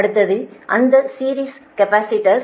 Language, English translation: Tamil, next is that series capacitor